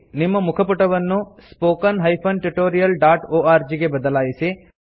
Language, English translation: Kannada, Change your home page to spoken tutorial.org